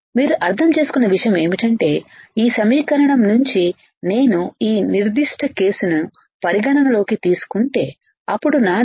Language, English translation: Telugu, What you understood is that from this equation if I consider this particular case, then I have then I have VDG equals to V T